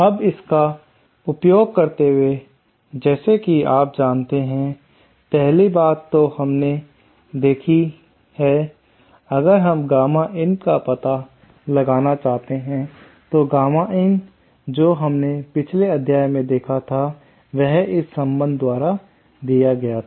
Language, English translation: Hindi, Now, using this, as you know, 1st thing that we have to see is if we want to find out the value of gamma in, gamma in in the previous module we saw was equal to, was given by this relationship